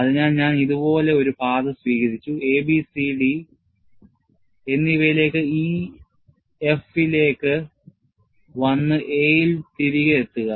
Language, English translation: Malayalam, So, I have taken a path like this, A, B, C and to D and then, come to E, F and then close it at A